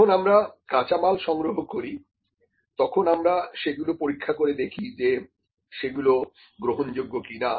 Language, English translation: Bengali, When we have to get the raw material, we check that whether the raw material that we have received is that acceptable or not